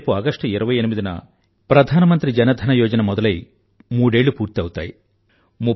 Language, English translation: Telugu, Tomorrow on the 28th of August, the Pradhan Mantri Jan DhanYojna will complete three years